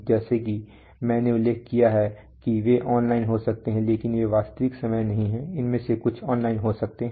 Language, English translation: Hindi, They are as I have mentioned that they may be online but they are non real time, some of them may be online